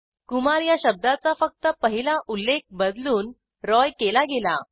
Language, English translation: Marathi, Only the first occurrence of Kumar is changed to Roy, not the second one